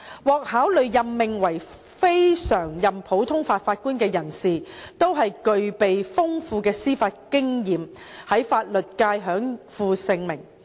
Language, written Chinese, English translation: Cantonese, 獲考慮任命為非常任普通法法官的人士，都是具備豐富的司法經驗、在法律界享負盛名。, Persons being considered for appointment as CLNPJs have profound judicial experience and enjoy high reputation in the legal sector